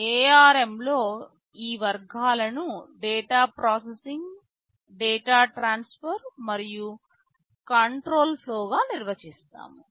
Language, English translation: Telugu, In ARM let us define these categories as data processing, data transfer and control flow